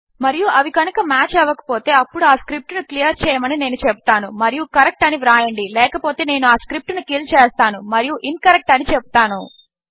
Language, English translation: Telugu, And if they do match then Ill say clear this script and write correct otherwise Ill just kill the script and say incorrect